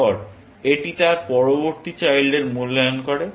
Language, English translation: Bengali, Then, it evaluates its next child